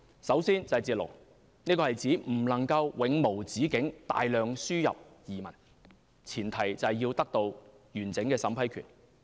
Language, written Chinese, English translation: Cantonese, 首先是"截龍"，這是指不能永無止境大量輸入移民，前提是要得到完整審批權。, The first is to stop the queue . It means that we cannot afford to accept interminable influx of immigrants . The full vetting and approval power is a prerequisite